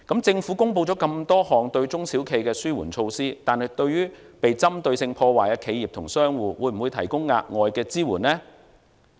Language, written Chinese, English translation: Cantonese, 政府公布了多項對中小企的紓緩措施，但對於被針對性破壞的企業及商戶，會否提供額外的支援呢？, The Government has announced a number of mitigation measures for SMEs but will it provide additional support to enterprises and businesses that have fallen victims to targeted vandalism?